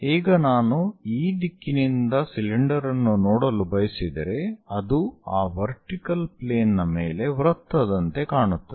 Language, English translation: Kannada, If i is from this direction would like to see the cylinder, the cylinder looks like a circle on that vertical plane